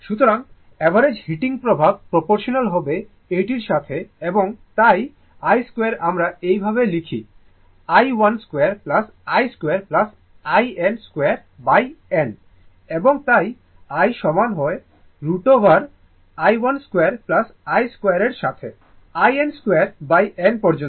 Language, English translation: Bengali, So, it is average heating effect is proportional to this right this and therefore, I square we write like this, i 1 square plus i 2 square plus i n square upon n and therefore, your I is equal to square root of i 1 square plus i 2 square up to i n square by n right